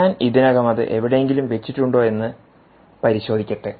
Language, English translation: Malayalam, let me just check if i already have them somewhere stored